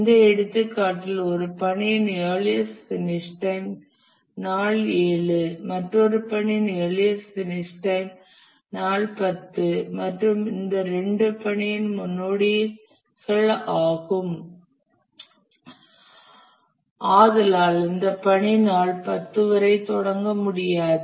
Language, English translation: Tamil, If certain tasks the earliest finish time is day 7 and another task where the earliest finish time is day 10 and both are the predecessors of this task, then this task cannot start until day 10